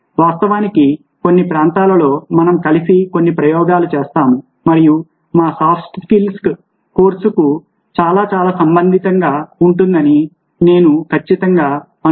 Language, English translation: Telugu, in fact, in some of the areas we will do a little bit of experimentation together and we findings, i am sure, will be very, very relevant for our soft skills course